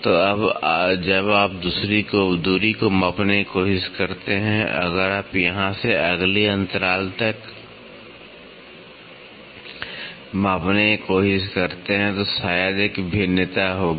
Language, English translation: Hindi, So, now when you try to measure the distance, if you try to measure from here to the next pitch maybe there will be a variation